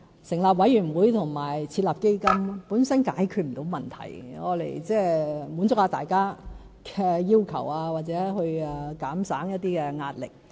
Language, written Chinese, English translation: Cantonese, 成立委員會和設立基金本身是解決不到問題，是用來滿足一下大家的要求，或減省一些壓力。, The setting up of commissions and funds cannot help solve problems and serve any purpose other than answering peoples insistence or lessening some pressure